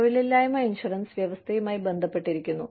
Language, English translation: Malayalam, Unemployment insurance, deals with the provision